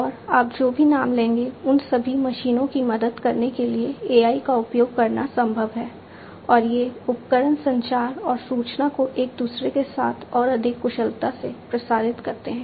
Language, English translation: Hindi, And, you name it and it is possible to use AI in order to help these machines and these equipments communicate and relay information with one another much more efficiently